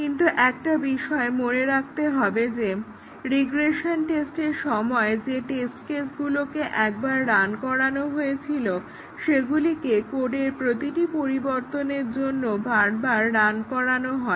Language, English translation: Bengali, But, one thing that needs to be kept in mind that during regression test cases, the test cases which were run once they are run again and again after each change to the code